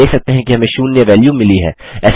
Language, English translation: Hindi, We see that we have got a value of zero that is returned